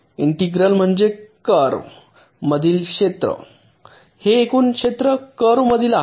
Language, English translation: Marathi, integral means the area under this curve, so this total area under the curve